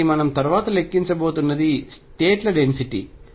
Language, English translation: Telugu, So, that is what we are going to calculate next, the density of states